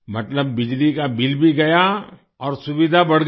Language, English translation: Hindi, Meaning, the electricity bill has also gone and the convenience has increased